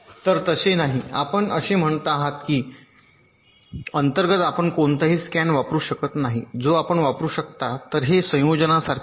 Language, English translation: Marathi, so it is not that you saying that internally you cannot use any scan path, that also you can use